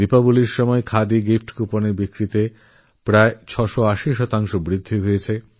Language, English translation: Bengali, During Diwali, Khadi gift coupon sales recorded an overwhelming 680 per cent rise